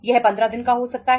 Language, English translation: Hindi, It can be 15 days